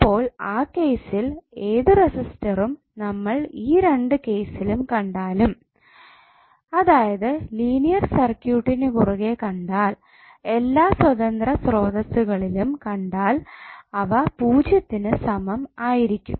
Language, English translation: Malayalam, So in that case whatever the resistance you will see in both of the cases the input resistance which you will see across the linear circuit with all independent sources are equal to zero would be equal to RTh